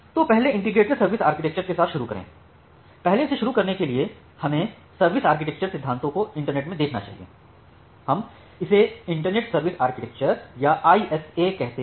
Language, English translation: Hindi, So first start our journey with this integrated service architecture, to start with first let us look the service architecture principles in the internet, we call it the internet service architecture or ISA